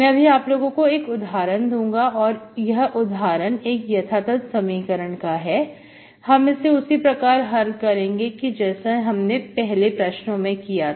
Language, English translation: Hindi, We will solve, I will give an example of I will give an example of exact equation that can be solved, with the procedure explained you earlier